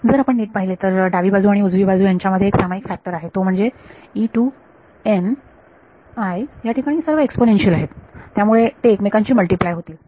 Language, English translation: Marathi, So, notice that all the terms on the left hand side and the right hand side have one factor in common which is E n i there all exponential so there will be multiplied with each other